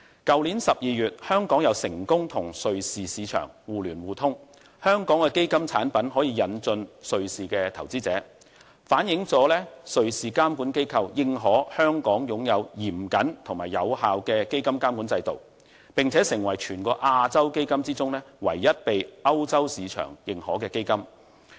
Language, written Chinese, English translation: Cantonese, 去年12月香港再成功與瑞士市場互聯互通，香港的基金產品可以引進瑞士的投資者，反映了瑞士監管機構認可香港擁有嚴謹及有效的基金監管制度，並且成為全亞洲基金中，唯一被歐洲市場認可的基金。, In December 2016 Hong Kong and the Switzerland concluded a MRF scheme which allowed Hong Kong public funds to be introduced to Swiss investors . The recognition by the Swiss Financial Market Supervisory Authority is a testament to Hong Kongs stringent and effective fund management regime . Besides of all Asian funds only Hong Kong funds are recognized by a European market